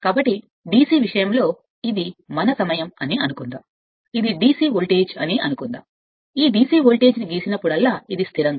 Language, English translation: Telugu, So, for DC thing whatever we know suppose this is our time, suppose this is your what you call the your and this is your my DC voltage, this is my DC voltage whenever we draw it is like this constant right